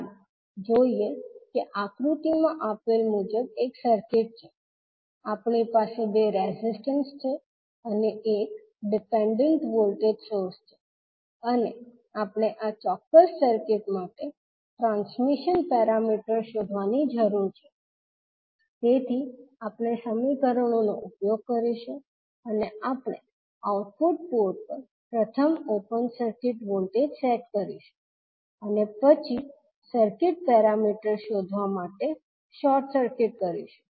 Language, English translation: Gujarati, Let us see there is one circuit as given in the figure, we have two resistances and one dependent voltage source and we need to find out the transmission parameters for this particular circuit so we will use the equations and we will set first voltage the output port as open circuit and then short circuit to find out the circuit parameters